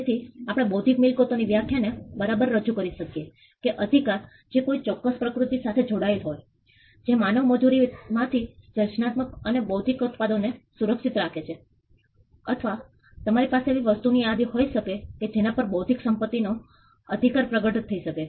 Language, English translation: Gujarati, So, we could come up with the definition of intellectual property right either as rights which belong to a particular nature which protects creative and intellectual products that come out of human labour or you could have a list of things on which an intellectual property right may manifest